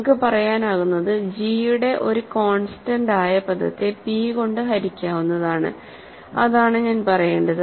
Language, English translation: Malayalam, So, what we can say is a constant term of g is divisible by p that is what I should say